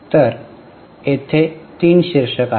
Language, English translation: Marathi, So, there are three headings